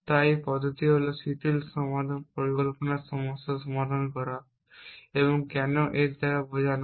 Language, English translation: Bengali, So one approach is to solve the relax planning problem and what why mean by that